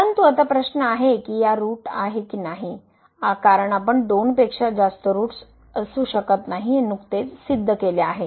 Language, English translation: Marathi, But, now the question is whether there is a root in this case, because we have just proved that there cannot be more than two roots